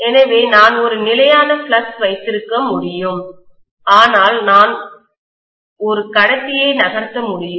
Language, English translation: Tamil, So, I can have a constant flux but I can just move a conductor